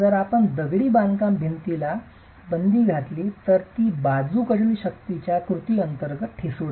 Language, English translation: Marathi, If you don't provide confinement to the masonry wall it is brittle under the action of lateral forces